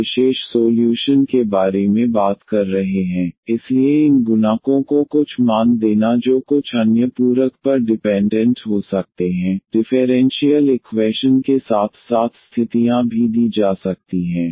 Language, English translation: Hindi, Another one what we are talking about the particular solution, so giving some values to these coefficients that may depend on some other supplementary, conditions may be given along with the differential equation